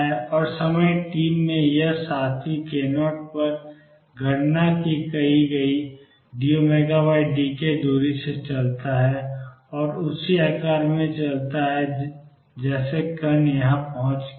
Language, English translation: Hindi, And in time t this fellow moves by a distance d omega by d k calculated at k 0 t and moves same shape the particle has reached here